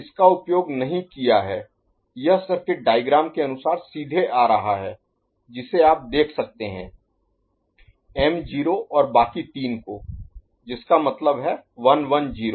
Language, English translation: Hindi, This one is not used this is coming directly as per the circuit diagram you can see to the m naught and the rest three; that means, 110 ok